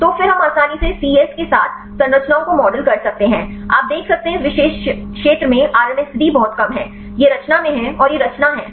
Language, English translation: Hindi, So, then we can easily model the structures with the c yes, you can see the RMSD is very less at this particular region; this is the in conformation and this out conformation